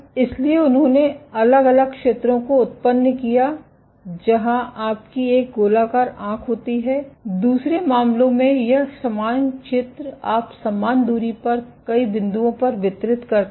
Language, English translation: Hindi, So, they did generate different areas where you have one circular eye, in other case this same area you distribute across multiple points at equal spacing